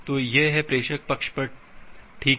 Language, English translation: Hindi, So that is at the sender side okay